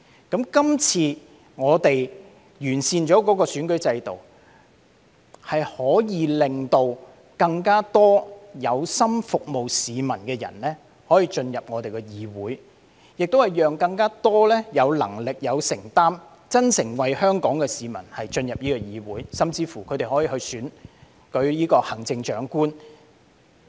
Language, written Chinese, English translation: Cantonese, 今次完善了選舉制度，可以令更多有心服務市民的人進入議會，亦讓更多有能力、有承擔、真誠為香港市民的人進入議會，他們甚至可以競選行政長官。, With the improvement of the electoral system now more people who aspire to serve the public and more people who are competent committed and sincere in serving the public can join the Legislative Council . They can even run for the office of the Chief Executive